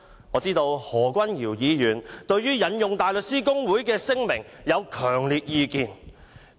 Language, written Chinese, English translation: Cantonese, 我知道何君堯議員對於引用大律師公會的聲明有強烈意見。, I know that Dr Junius HO holds strong views about quoting the statement of HKBA